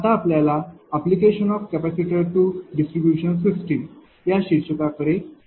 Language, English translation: Marathi, Now, when we will come to that application of your capacitors to distribution system